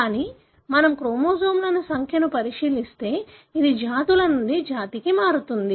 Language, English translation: Telugu, But, if we look into the number of chromosome, it varies from species to species